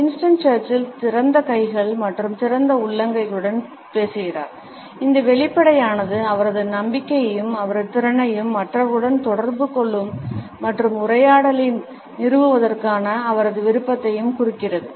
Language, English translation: Tamil, Winston Churchill is speaking with open hands and open palms and this openness suggests his confidence and his capability as well as his desire to establish interaction and dialogue with the other people